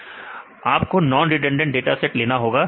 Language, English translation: Hindi, You have to take a non redundant dataset right